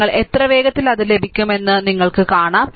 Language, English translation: Malayalam, Then you see how quickly you will get it